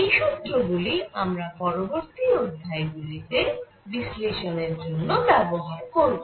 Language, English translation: Bengali, We will use these for our analysis in coming lectures